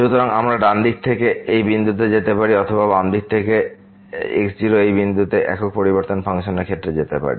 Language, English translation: Bengali, So, we can approach from the right side to this point or we can approach from the left side to this point in case of a functions of single variable